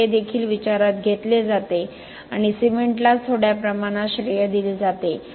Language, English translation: Marathi, So, this is also taken into account and attributed in a small quantity to the cement itself